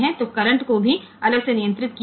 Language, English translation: Gujarati, So, the currents are controlled separately